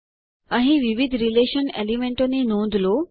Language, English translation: Gujarati, Notice the various relation elements here